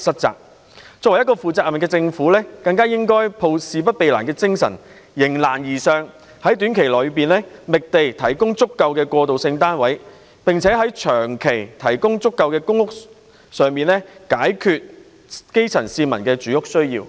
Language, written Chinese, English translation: Cantonese, 作為一個負責任的政府，更應該抱着事不避難的精神，迎難而上，在短期內覓地，提供足夠的過渡性房屋單位，並長期提供足夠的公屋單位，以解決基層市民的住屋需要。, As a responsible Government we should avoid dodging the problem and must face up to the challenge . We should identify sites to provide sufficient transitional housing units in the short term and provide sufficient PRH units in the long time in order to solve the housing needs of the grass roots